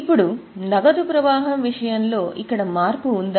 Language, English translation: Telugu, Now is there a change here in case of cash flow